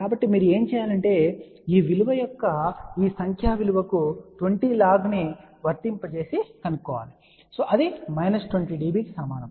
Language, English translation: Telugu, So, what you have to do to find the numeric value you apply to this 20 log of this value which is equal to minus 20 db ok